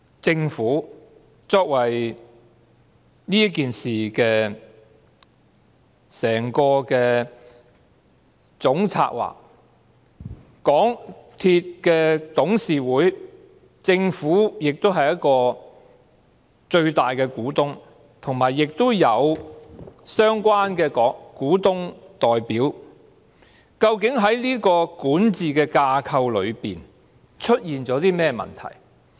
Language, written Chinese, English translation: Cantonese, 政府作為這事件的總策劃，它也是港鐵公司董事會的最大股東，亦有相關的股東代表，究竟在管治架構上出現了甚麼問題？, What has gone wrong with the governance structure involving the Government which is the chief architect of SCL and the largest shareholder of MTRCL with representation on the latters Board of Directors?